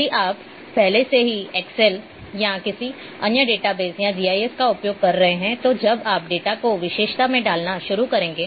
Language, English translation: Hindi, If you if you if you are using already using like excel or some other database or GIS you would find when you start putting the data in attribute